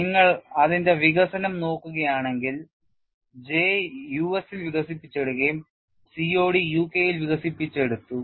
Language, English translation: Malayalam, If you look at that development, J is developed in the US and COD is primarily developed in the UK